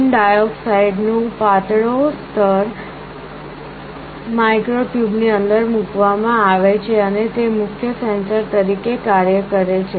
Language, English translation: Gujarati, There is a thin layer of tin dioxide, which is put inside the micro tubes and acts as the main sensor